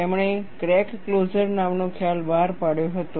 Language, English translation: Gujarati, He brought out a concept called crack closure